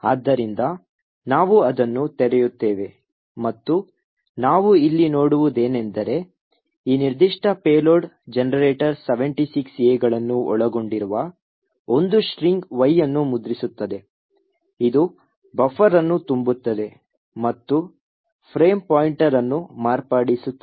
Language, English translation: Kannada, So we will open that and what we see here is that this particular payload generator prints a string Y which comprises of 76 A, so the 76 A’s are used to overflow the buffer and as we and you can recollect that it overflow by 76 A’s